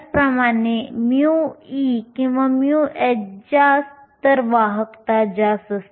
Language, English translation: Marathi, Similarly, higher mu e or mu h, the conductivity is higher